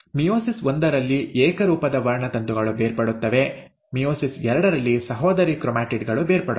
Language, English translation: Kannada, In meiosis one, the homologous chromosomes get separated, while in meiosis two, the sister chromatids get separated